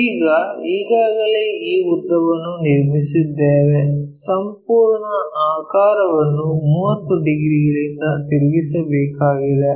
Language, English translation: Kannada, Now, already this longest one we have constructed, this entire thing has to be rotated by 30 degrees